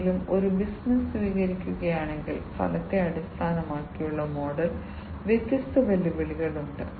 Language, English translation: Malayalam, So, you know if somebody if a business is adopting, the outcome based model, there are different challenges